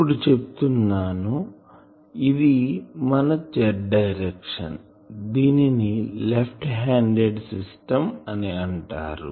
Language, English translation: Telugu, Let us say that this is my z direction this is my left handed system